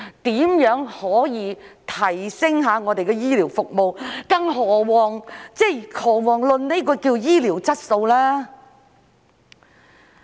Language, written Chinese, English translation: Cantonese, 如何可以提升醫療服務，更遑論醫療質素呢？, How can healthcare services be enhanced let alone healthcare quality?